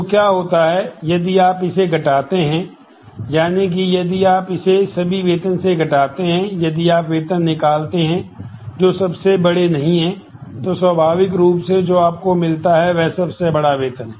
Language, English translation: Hindi, So, what happens, if you subtract that is from this if you subtract this from all salaries, if you remove the salaries, that are not largest naturally what you get is a largest salary